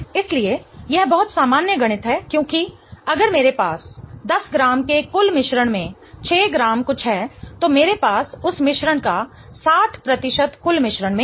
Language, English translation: Hindi, So, this is very usual maths because if I have 6 grams of something in in a 10 gram total mixture, I have 60 percent of that compound in the total mixture